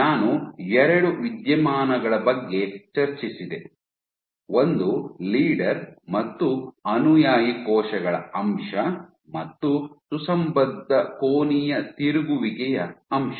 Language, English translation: Kannada, I discussed about two phenomena one is this aspect of leader versus follower cells and also this aspect of coherent angular rotation